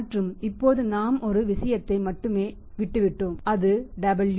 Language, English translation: Tamil, And now We have left with one thing only that is W